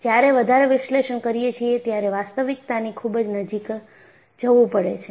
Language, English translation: Gujarati, When you do more analysis, I should also go closer to reality